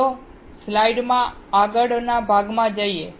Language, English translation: Gujarati, Let us go to the next part of the slide